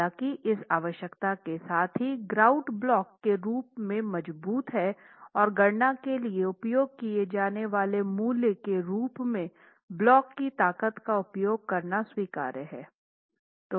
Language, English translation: Hindi, However, with the requirement that the grout is at least as strong as the block and using the strength of the block as the value that you will use for calculations is acceptable